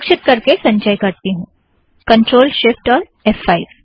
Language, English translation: Hindi, Lets do that, ctrl shift, f5